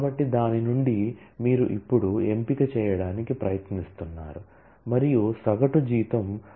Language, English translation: Telugu, So, from that you are now trying to do the selection and what is the condition that the average salary has to be written